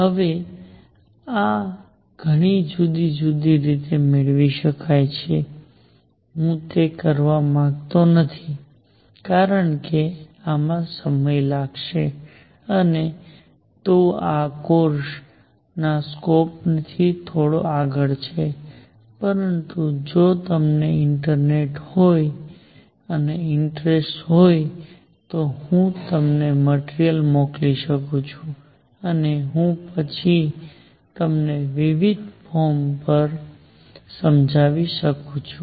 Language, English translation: Gujarati, Now, this can be derived in many different ways, I am not going to do it because this is going to take time and it slightly beyond the scope of this course, but if you are interested I can send you material and I can explain it to you later at different forum